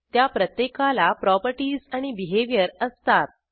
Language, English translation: Marathi, Each of them has properties and behavior